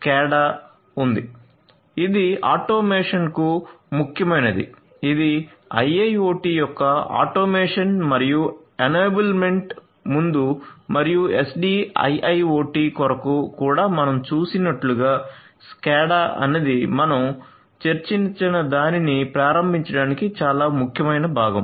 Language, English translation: Telugu, The SCADA is there SCADA is important for automation as we have seen before automation and enable enablement of software defined sorry enablement of a IIoT and for SDIIoT as well SCADA is a very important component for enabling whatever we have discussed